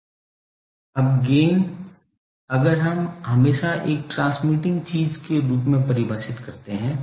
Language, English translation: Hindi, Now, gain if the antenna we always define as a transmitting thing